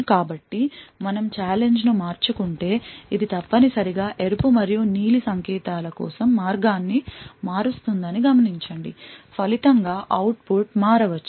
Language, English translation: Telugu, So note that if we change the challenge, it essentially changes the path for the red and blue signals and as a result output may change